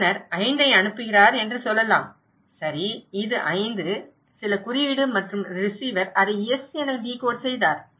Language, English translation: Tamil, Let ‘s say sender is sending 5, want to say that okay this is 5 some code and receiver decoded it as S